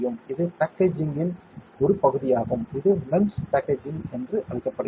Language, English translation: Tamil, See this is part of packaging, it is called MEMS packaging